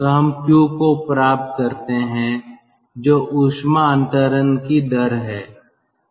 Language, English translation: Hindi, so then from there we can determine what is our rate of heat transfer